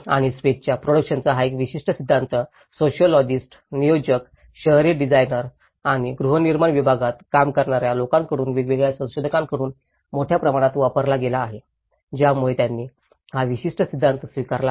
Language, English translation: Marathi, And this particular theory of production of space has been widely used from different researchers varying from sociologists, planners, urban designers and even the people working in the housing segment so they have adopted this particular theory